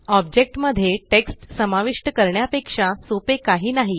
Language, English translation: Marathi, Entering text in objects cannot get simpler than this